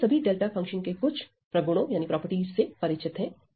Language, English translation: Hindi, Now we all we are quite familiar with some of the properties of delta function